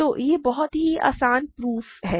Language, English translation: Hindi, So, this is a very easy proof